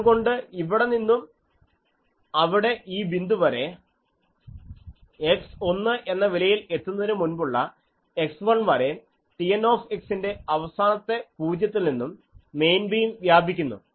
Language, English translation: Malayalam, So, from here, up to that let us say this point so, the main beam extends from the last 0 of T n x before x reaches the value of 1 up to x 1